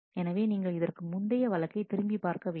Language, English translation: Tamil, So, if you if you look back as to earlier case